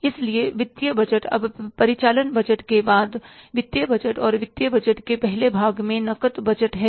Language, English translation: Hindi, Now, after the operating budget, financial budgets, and in the first part of the financial budget is the cash budget